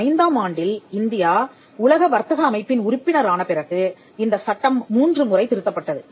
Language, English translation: Tamil, The 1970 act was after India became member of the world trade organization in 1995, the act amended three times, in 1999, in 2002 and in 2005